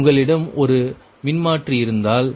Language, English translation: Tamil, so suppose you have a transformer